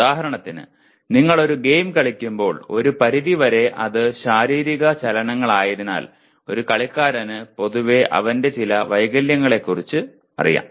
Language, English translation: Malayalam, For example when you are playing a game, to a certain extent because it is physical movements a player is generally aware of some of his defects